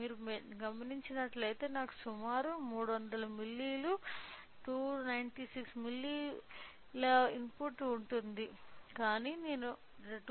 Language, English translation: Telugu, If you observe I have a given a input of approximately 300 milli, 296 milli volt, but I am getting an output of 2